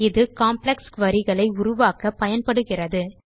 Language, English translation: Tamil, This is used to create complex queries